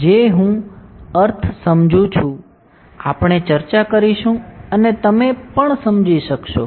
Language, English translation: Gujarati, What I mean by it, we will discuss and you will understand